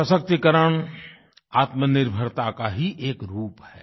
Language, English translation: Hindi, Empowerment is another form of self reliance